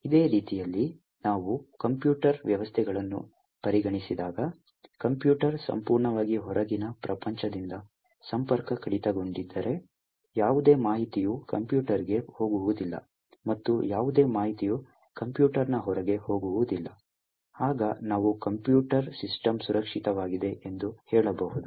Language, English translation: Kannada, In a very similar way, when we consider computer systems, if the computer is totally disconnected from the external world, no information is going into the computer and no information is going outside a computer, then we can say that computer system is secure